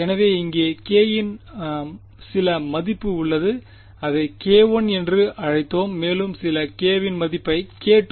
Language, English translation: Tamil, So, there is some value of k over here we called it k 1 and some value of k over here I called it k 2